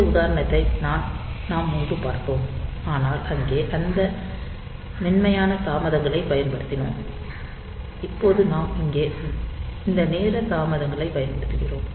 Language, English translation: Tamil, So, we have seen previously this example, but there we were using that soft delays, now we are now here we will be using this timer delays